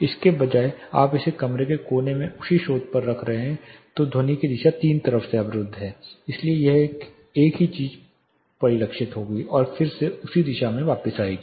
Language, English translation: Hindi, Instead you are putting it in a room corner the same source then the directionality of the sound it is blocked in three sides, so this same thing will be reflected and re reflected it will be coming back to the same direction